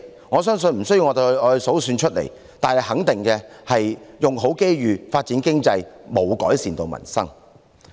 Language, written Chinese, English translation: Cantonese, 我相信無須我數算出來，但可以肯定的是，"用好機遇"、"發展經濟"並無改善民生。, I believe I need not enumerate them but it is certain that making the best use of opportunities and developing the economy have not improved the peoples lot